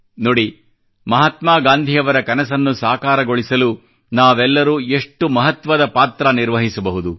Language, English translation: Kannada, And witness for ourselves, how we can play an important role in making Mahatma Gandhi's dream come alive